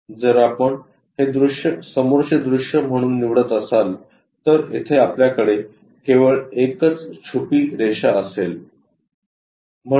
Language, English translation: Marathi, If we are picking this one as the view front view there is only one hidden line we have